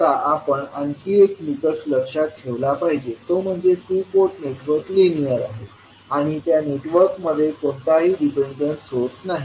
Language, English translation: Marathi, Now, another criteria which we have to keep in mind is that the two port network is linear and has no dependent source